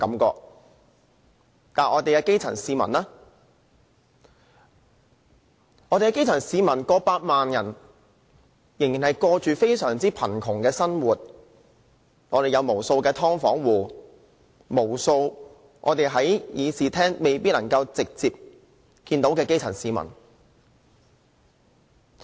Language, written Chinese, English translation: Cantonese, 但是，我們有過百萬基層市民卻仍然過着非常貧窮的生活，我們有無數"劏房戶"，無數在議事廳未必能直接接觸得到的基層市民。, However we have over a million grass - roots people still living in poverty . We have countless subdivided unit occupants . We still have countless poor people whose stories are unheard of in this Chamber